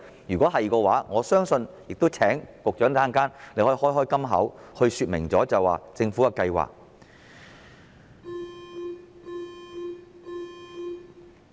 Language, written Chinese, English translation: Cantonese, 如是者，我亦請局長在稍後可以"開金口"，說明政府的計劃。, If yes I would also like to ask the Secretary to open his mouth later on and explain the Governments plan